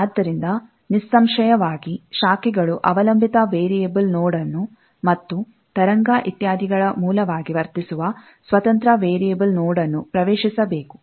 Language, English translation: Kannada, So, obviously, branches can enter a dependent variable node; and, an independent variable node, that makes, that behaves as a source of the wave etcetera